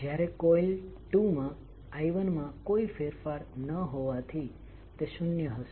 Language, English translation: Gujarati, While in coil 2, it will be zero because there is no change in I 1